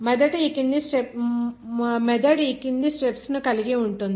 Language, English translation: Telugu, The method involves the following steps here